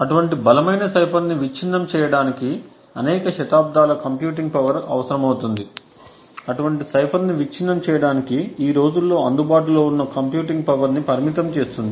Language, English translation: Telugu, Breaking such a strong cipher would require several centuries of computing power constrained the amount of computing power that is available these days to actually break such a cipher